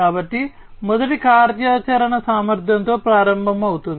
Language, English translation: Telugu, So, the first one will start with is operational efficiency